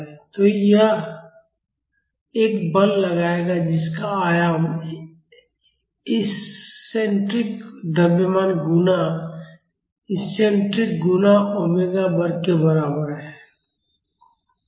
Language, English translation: Hindi, So, this will exert a force whose amplitude is equal to the eccentric mass times the eccentricity times omega square